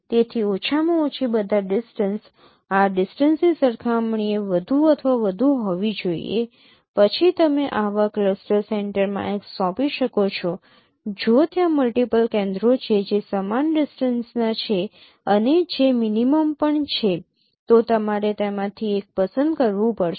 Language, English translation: Gujarati, Then you can you assign X to any such cluster center if there are multiple centers which are of equal distances and which are also minimum, you have to choose one of them